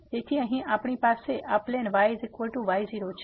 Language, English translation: Gujarati, So, here we have this plane is equal to